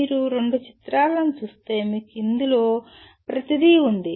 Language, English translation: Telugu, If you look at these two pictures, you have everything in this